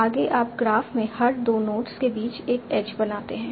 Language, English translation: Hindi, Next, you make an edge between every two nodes in the graph